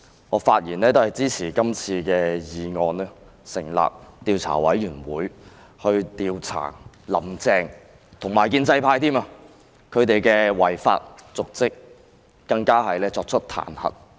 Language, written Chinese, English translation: Cantonese, 我發言也是要支持今次的議案，成立獨立調查委員會，以調查"林鄭"和建制派的違法瀆職行為，更要作出彈劾。, I also wish to voice my support for this motion of forming an independent investigation committee to investigate the dereliction of duty by Carrie LAM and the pro - establishment camp . Moreover an impeachment has to be made